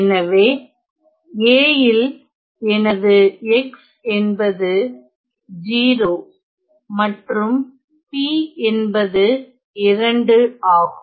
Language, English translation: Tamil, So, in A in A if I choose my x to be my x to be 0 and my p to be 2 right